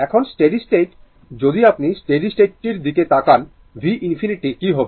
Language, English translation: Bengali, Now, at steady state, if you if you look in to the steady state that means, what will be your v infinity